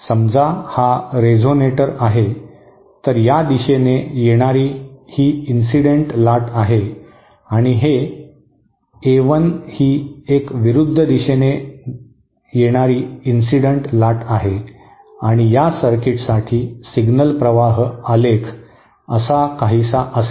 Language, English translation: Marathi, This is a resonator suppose this is the incident wave in this direction and this is the A l is my incident in the opposite direction and the signal flow graph diagram for this circuit will be something like this